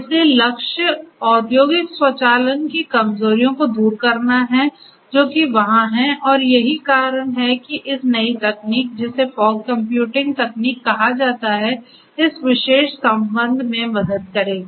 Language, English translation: Hindi, So, the goal is to address the weaknesses of industrial automation, that have been there and that is why this new technology such as the new technology which is called the fog computing technology will help in this particular regard